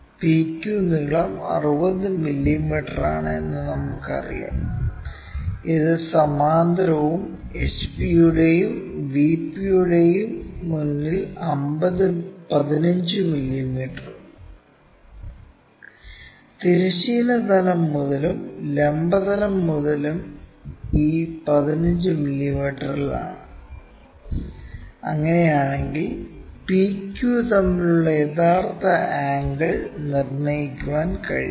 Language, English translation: Malayalam, PQ length is 60 mm we know, and it is parallel to and 15 mm in front of HP and VP is both fromhorizontal plane and vertical plane is at this 15 mm, if that is the case can we determine the true angle between this PQ